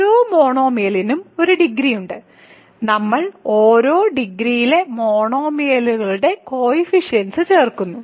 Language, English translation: Malayalam, So, each monomial has a degree to it and we add coefficient of monomials of same degree